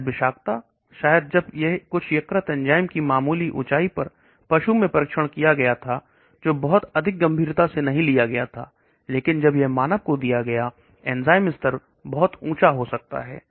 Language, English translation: Hindi, Maybe toxicity, maybe when it was tested in animal slight elevation of some liver enzyme, which was not taken very seriously, but when it was given to human the enzyme level may be getting elevated too much